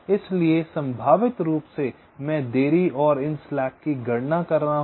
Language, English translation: Hindi, so probabilistically i am calculating the delays and these slacks